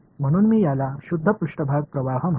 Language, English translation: Marathi, So, I will call this the pure surface current all right